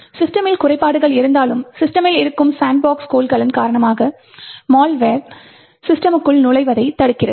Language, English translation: Tamil, Even though the system has flaws, malware is actually prevented from entering into the system due to the sandbox container that is present in the system